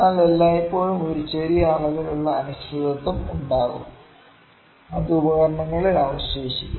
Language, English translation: Malayalam, But there will always be a small amount of uncertainty that would be left in the instruments